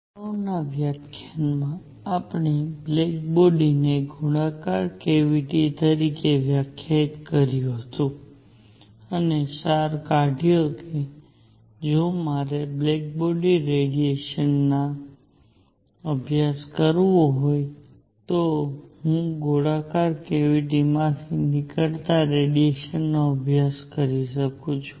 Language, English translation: Gujarati, In the previous lecture we defined black body as a spherical cavity, and concluded that if I want to study black body radiation I can study the radiation coming out of a spherical cavity